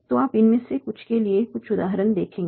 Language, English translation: Hindi, So we will see some examples for some of these